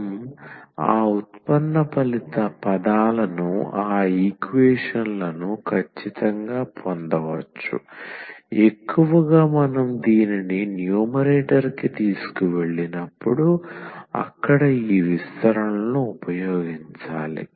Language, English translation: Telugu, So, we can exactly get those derivative terms those differentials there, mostly we have to use these expansions there when we take this to numerator